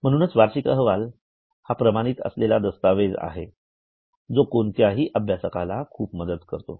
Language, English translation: Marathi, So, this annual report is an authenticated document and a very useful document for any learner